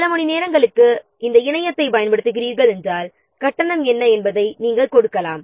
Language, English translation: Tamil, If you are using this internet for some hours, you can give what is the charge